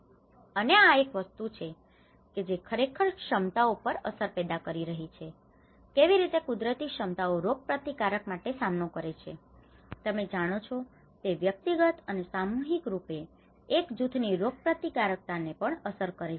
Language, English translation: Gujarati, And this is one thing which is actually creating an impact on the abilities how the natural abilities to cope up the immunities, you know it is affecting the immunity of an individual and collectively as a group as well